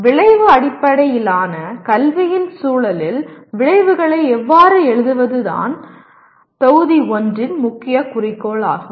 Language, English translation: Tamil, This is the point or this is the main goal of the Module 1, how to write outcomes in the context of Outcome Based Education